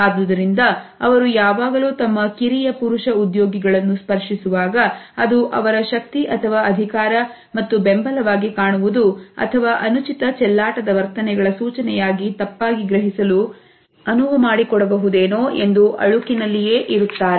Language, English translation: Kannada, So, they are often unsure whether they are touch to their junior male employees may be interpreted as an indication of power and support or it may be misconstrued as an indication of either weakness or even of flirtatious attitudes